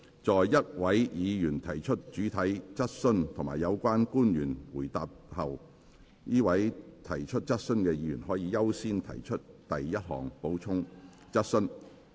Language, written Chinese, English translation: Cantonese, 在一位議員提出主體質詢及有關的官員回答後，該位提出質詢的議員可優先提出第一項補充質詢。, After a Member has asked a main question and the relevant public officer has replied the Member who asks the question has priority to ask the first supplementary question